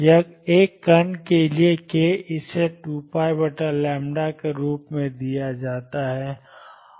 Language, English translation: Hindi, Or k for a particle, it is given as 2 pi over lambda